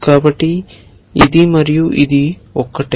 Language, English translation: Telugu, So, this and this are the same